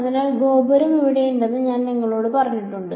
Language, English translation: Malayalam, So, I have told you that tower is here